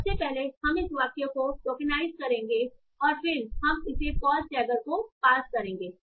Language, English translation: Hindi, So first of all, we'll tokenize this sentence and then we'll pass it to the postger